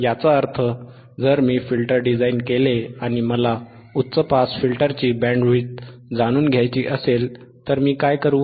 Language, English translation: Marathi, tThat means, that if I design if I design a filter then and if I want to know the bandwidth of high pass filter, what I will do